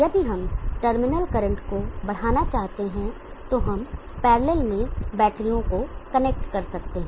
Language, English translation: Hindi, If we want to enhance the terminal current, then we can connect batteries in parallel